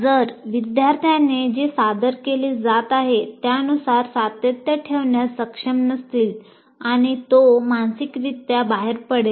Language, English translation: Marathi, Then what happens is the student is not able to keep pace with what is being presented and he is he will mentally drop out